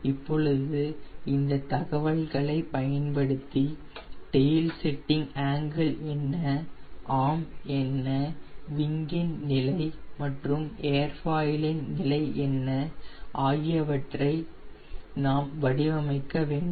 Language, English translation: Tamil, now, using this information, we have to design what will be the tail setting angle and what will be the arm, what will be the position of wing and tail airfoil